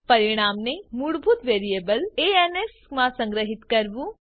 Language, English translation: Gujarati, Store the result in the default variable ans